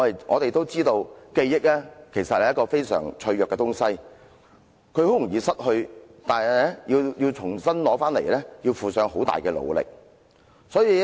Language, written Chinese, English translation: Cantonese, "我們知道記憶是一種非常脆弱的東西，很容易失去，但要重新得到卻要付出很大的努力。, We know that our memory is very fragile and easy to lose . But we have to make tremendous efforts to recover it